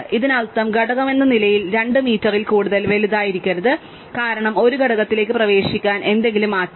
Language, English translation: Malayalam, That means as component cannot have got larger than 2m, because in order to get into a component, something must change